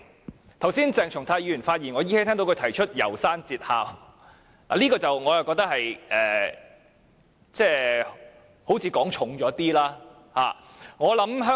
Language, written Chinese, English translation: Cantonese, 我依稀聽到鄭松泰議員剛才發言時提到《楢山節考》，我覺得這有點言重了。, I seemed to hear Dr CHENG Chung - tai mention the movie The Ballad of Narayama when he spoke just now . I think he has overstated the situation